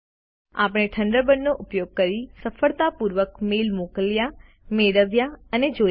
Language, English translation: Gujarati, We have successfully sent, received and viewed email messages using Thunderbird